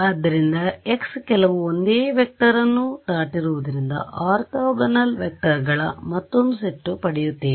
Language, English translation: Kannada, So, x hat cross some same vector all three I will just get it another set of orthogonal vectors